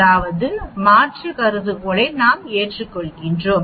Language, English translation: Tamil, That means we accept the alternative hypothesis